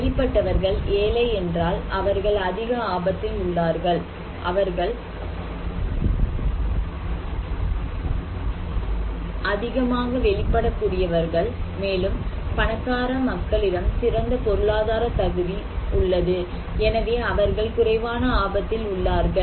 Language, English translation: Tamil, Or if the people who are exposed they are only poor, they are more at risk, they are more vulnerable and if a rich people who have better economic capacity, we consider to be that they are less risk